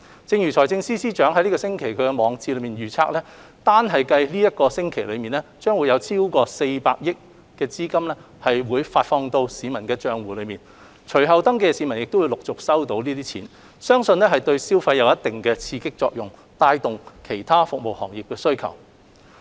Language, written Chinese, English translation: Cantonese, 正如財政司司長本星期在網誌中預期，單計本周便將有超過400億元資金發放到市民的帳戶，隨後登記的市民亦會陸續收到資金，相信對消費有一定的刺激作用，帶動對其他服務行業的需求。, As the Financial Secretary wrote in his blog this week more than 40 billion funding will be disbursed to the respective bank accounts in the coming week and for those who register later will also receive their payment in turn . We believe that the Scheme will boost local consumption driving the demand in other services sectors